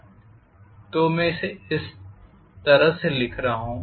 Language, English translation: Hindi, So I am writing this like this